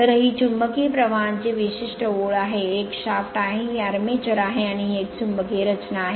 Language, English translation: Marathi, So, this is the typical line of magnetic flux, this is a shaft, this is the armature and this is a magnetic structure